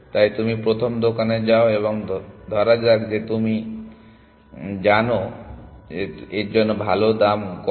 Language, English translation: Bengali, So, you go to the first shop and let say I do not know what is the good price for you people